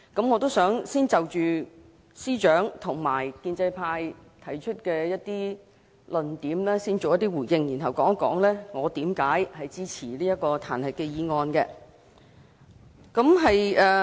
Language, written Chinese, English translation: Cantonese, 我想先就司長及建制派提出的論點作出一些回應，然後談談為何我支持彈劾議案。, I would like to respond to the arguments made by the Chief Secretary and the pro - establishment Members before explaining why I support this impeachment motion